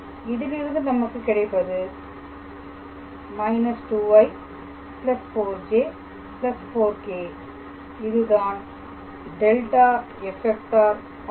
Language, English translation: Tamil, So, ultimately this will be minus 2 i plus 4 j plus 4 k and then this will be 32 plus 40